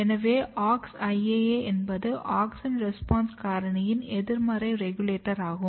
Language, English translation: Tamil, So, Aux IAA is basically negative regulator of auxin response factor